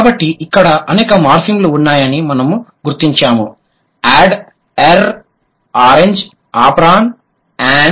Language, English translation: Telugu, So, here we identified there are these many morphemes present here, add, er, orange, apron and n